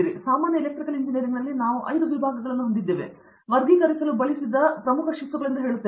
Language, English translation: Kannada, So, let me also tell you that in general Electrical Engineering we have 5 disciplines, major disciplines we used to classify